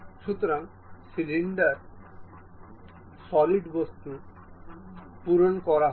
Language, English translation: Bengali, So, the solid object will be completely filled